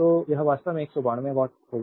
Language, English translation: Hindi, So, it will be actually 192 watt right